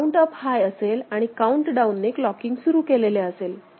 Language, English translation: Marathi, Count up remains at high and countdown starts clocking ok